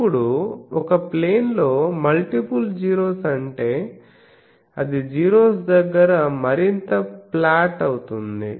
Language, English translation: Telugu, Now, multiple 0 at a place means that it becomes more and more flat near the 0s